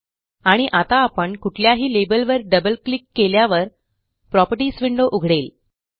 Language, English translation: Marathi, And now, we will double click on any label which in turn will open the Properties window